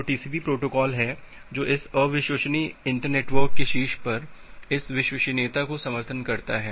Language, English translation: Hindi, So, TCP is the protocol which supports this reliability on top of this unreliable internetwork